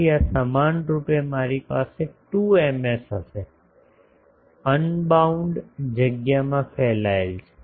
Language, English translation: Gujarati, So, this equivalently I will have 2 Ms, radiating in unbounded space